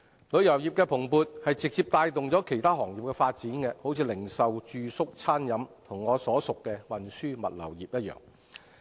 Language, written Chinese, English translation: Cantonese, 旅遊業的蓬勃直接帶動其他行業的發展，例如零售、住宿、餐飲及我所屬的運輸和物流業。, The vibrancy of the tourism industry directly drives the development of other industries such as retail accommodation food and beverage and transportation and logistics to which I belong